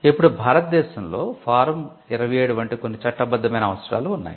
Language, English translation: Telugu, Now, in India there are certain statutory requirements like form 27, which is a working statement